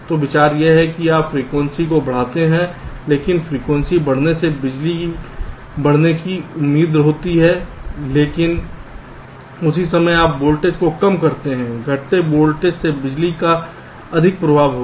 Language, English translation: Hindi, so the idea is that you increase the frequency, but increasing frequency is expected to increase the power, but at the same time you decrease the voltage